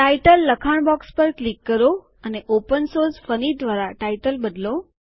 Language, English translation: Gujarati, Click on the Title text box and change the title to Opensource Funny